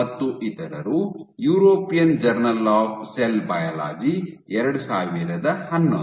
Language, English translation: Kannada, et al, European journal of cell biology 2011